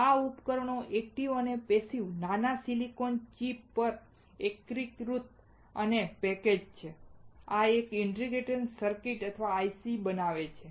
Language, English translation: Gujarati, These devices, active and passive integrated together on a small silicone chip and packaged, this form an integrated circuit or IC